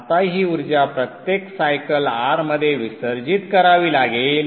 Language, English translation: Marathi, Now this energy has to be dissipated within R every cycle